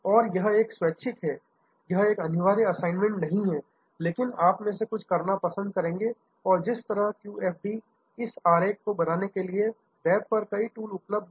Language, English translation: Hindi, And this is a voluntary, this is not a compulsory assignment, but some of you will like to do and by the way QFD, there are number tools available on the web to create this diagram and